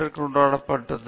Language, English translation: Tamil, He has been celebrated